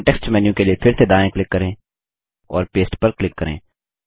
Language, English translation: Hindi, Right click again for the context menu and click Paste